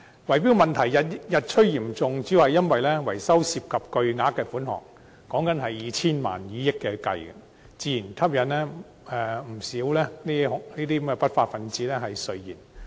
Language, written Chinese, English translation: Cantonese, 圍標問題日趨嚴重，主要是因為維修涉及巨額款項，動輒以千萬元，甚至以億元計算，自然吸引不少不法分子垂涎。, Bid - rigging has turned increasingly serious day after day mainly due to the colossal sums of money involved in maintenance . The amount can be as much as tens or even hundreds of millions of dollars . This has naturally induced many unruly elements to set their eyes on such projects